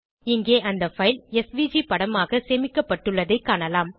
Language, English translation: Tamil, Here we can see that file is saved as a SVG image